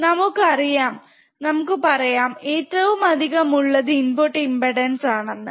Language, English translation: Malayalam, Then we will see it as a extremely high input impedance